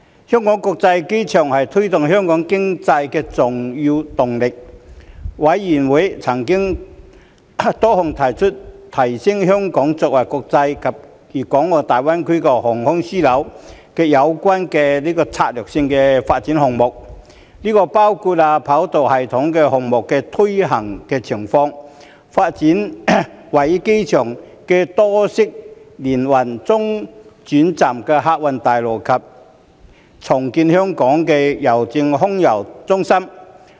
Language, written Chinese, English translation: Cantonese, 香港國際機場是推動香港經濟的重要動力，事務委員會曾討論多項提升香港作為國際及粵港澳大灣區航空樞紐有關的策略性發展項目，包括三跑道系統項目的推行情況、發展位於機場的多式聯運中轉客運大樓及重建香港郵政空郵中心。, The Hong Kong International Airport HKIA is an important driver for Hong Kongs economy . The Panel discussed a number of strategic projects for enhancing Hong Kong as an international and Guangdong - Hong Kong - Macao Greater Bay Area aviation hub including the implementation of the Three - Runway System 3RS project the development of the Intermodal Transfer Terminal at HKIA and the redevelopment of the Air Mail Centre of Hongkong Post